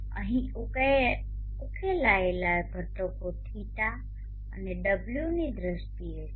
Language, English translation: Gujarati, Here the resolved components are in terms of d and